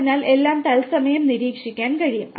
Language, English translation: Malayalam, So everything can be monitored in real time